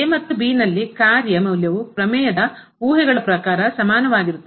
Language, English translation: Kannada, The function value at and are equal as per the assumptions of the theorem